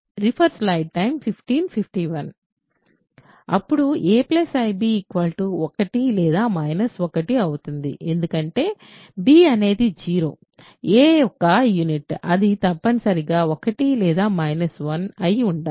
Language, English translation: Telugu, Then a plus ib is 1 or minus 1 right, because b is 0 a is a unit that makes it must be 1 or minus 1